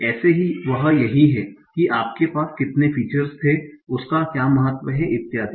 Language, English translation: Hindi, Now this is what is the importance, how many features you are having and so on